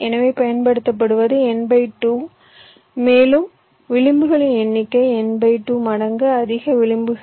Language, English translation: Tamil, so you are using means n by two, mode number of edge, n by two times mode edges